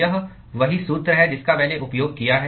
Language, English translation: Hindi, It is the same formula I have used